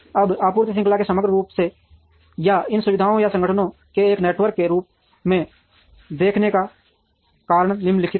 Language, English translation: Hindi, Now, the reason to look at supply chain holistically or as a network of these facilities and organizations are the following